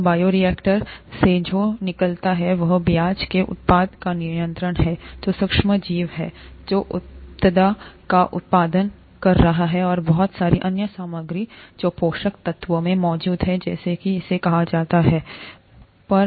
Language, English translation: Hindi, So what comes out of the bioreactor is a mixture of the product of interest, the micro organism that is there which is producing the product and a lot of other material which is present in the nutrients, the medium as it is called, and so on